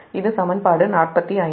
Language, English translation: Tamil, this is equation forty five